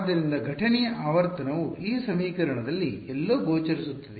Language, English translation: Kannada, So, the incident frequency is appearing somewhere in this equation all right